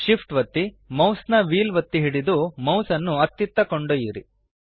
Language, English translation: Kannada, Hold shift, press down the mouse wheel and move the mouse